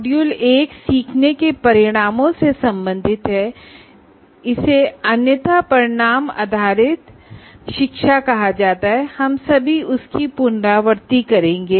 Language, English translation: Hindi, Module 1 is related to learning outcomes and that is where we also otherwise called it the outcome based education and we will say what exactly we reviewed in that we will presently see